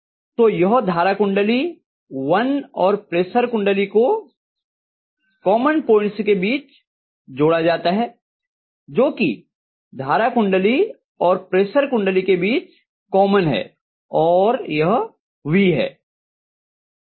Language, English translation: Hindi, So this is the current coil 1 and I am going to have the pressure coil connected between the common point, which is common between the current coil and pressure coil and this is going to be the V